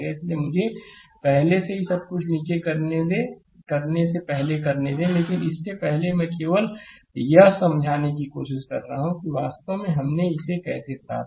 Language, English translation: Hindi, So, let me so before everything is there at the bottom, but before that I am just trying to explain that how we actually obtained it